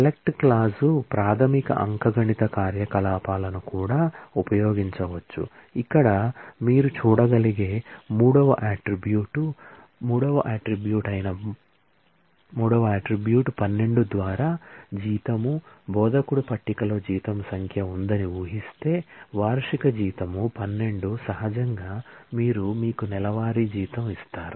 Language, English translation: Telugu, Select clause can also use basic arithmetic operations for example, here we are showing a select where the third attribute as you can see, the third attribute is salary by 12, assuming that the instructor table has a salary number which is annual salary by 12 naturally you give you the monthly salary